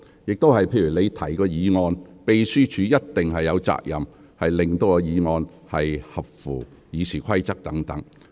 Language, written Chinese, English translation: Cantonese, 就議員提出的議案，秘書處有責任就議案是否符合《議事規則》提供意見。, As far as the motions proposed by Members are concerned it is the Secretariats responsibility to advise on whether the motions comply with the Rules of Procedure